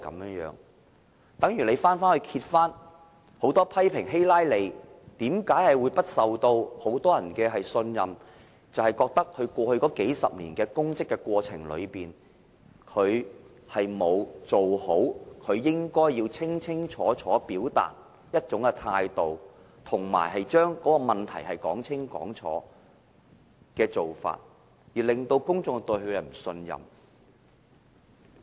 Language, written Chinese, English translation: Cantonese, 例如美國很多人批評希拉莉為何無法取得眾人信任，便是認為她在過去數十年擔任公職時，並沒有表達好其應該要清楚表達的一種態度，以及並未把問題說清楚，致令公眾不信任她。, For example a lot of Americans criticized the reason why Hillary CLINTON was unable to win public trust was that during the past several decades when she was holding public office she failed to express clearly the attitude she should have expressed and she failed to clarify all those problems . As a result the public did not trust her